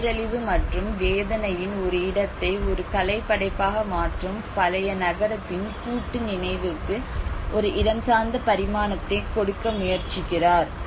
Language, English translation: Tamil, So he is trying to give a spatial dimension to the collective memory of the old city turning a place of devastation and pain into a work of art